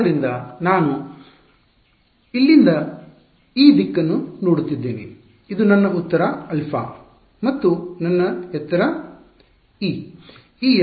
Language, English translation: Kannada, So, this was my I am looking from here this direction, this was my height alpha and this was my height epsilon